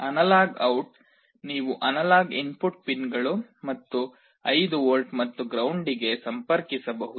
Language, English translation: Kannada, The analog out you can connect to one of the analog input pins and 5 volts and ground